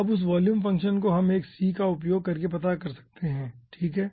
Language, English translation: Hindi, now that volume fraction we actually capture using 1 ah property called c